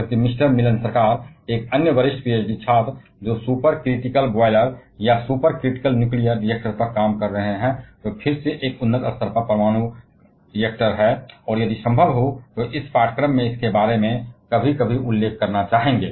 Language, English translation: Hindi, Whereas, mister Milan Sarkar, another senior PhD student he is working on super critical boilers or super critical nuclear reactors; which is again an advanced level nuclear reactor and if possible would like to mention about that sometimes in this course